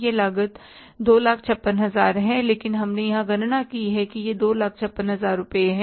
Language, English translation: Hindi, This cost is 2,000, But we have calculated here is that is the 2,000 56,000 rupees